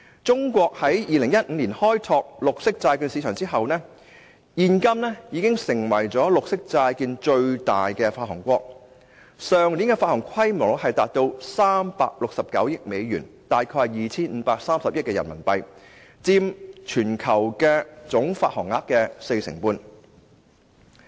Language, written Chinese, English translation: Cantonese, 中國在2015年開拓綠色債券市場之後，現今已成為綠色債券的最大發行國，去年的發行規模達到369億美元，即大概 2,530 億元人民幣，佔全球發行總額四成半。, Since the opening up of its green bonds market in 2015 China has become the biggest issuer of green bonds by now . It issued US36.9 billion worth of green bonds last year and this is approximately equivalent to RMB253 billion or 45 % of the total value of bonds issued globally